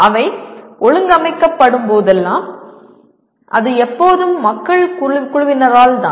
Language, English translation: Tamil, Whenever they are organized it is always by a team of people